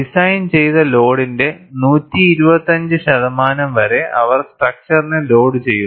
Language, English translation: Malayalam, They load the structure up to 125 percent of the load, for which it is designed